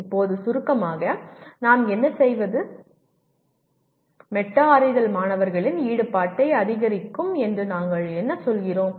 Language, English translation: Tamil, Now in summary, what do we, what do we say metacognition can increase student engagement